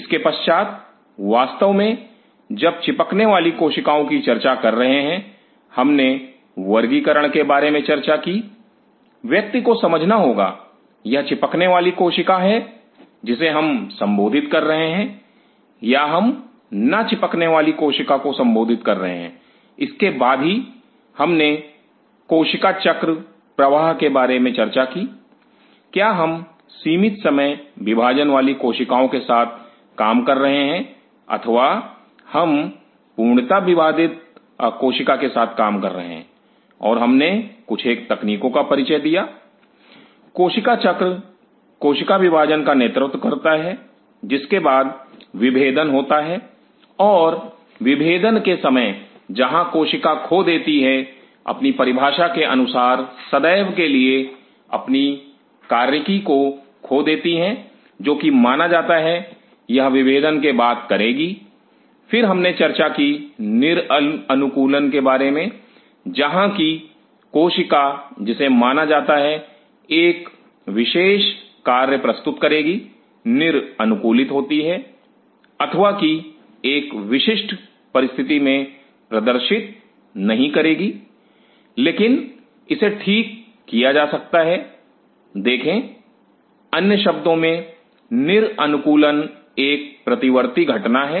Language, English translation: Hindi, Post that of course, while talking about the adhering bring of the cell, we talked about classification one has to understand is it adhering cell, we are culturing or we are culturing a non adhering cell then followed by this, we talked about the cell cycle progression, are we dealing with cells with limited time division or we are dealing with fully differentiated cell and we introduce some of the terminologies; cell cycle leading to cell division followed by differentiation and at times differentiation where the cell loses its as per the definition permanently loses its function which it is supposed to do post differentiation, then we talked about de adaptation where the cell which suppose to produce a specific function de adapts or does not perform at under a specific conditions, but that could be rectified see in other words de adaptation is a reversible phenomena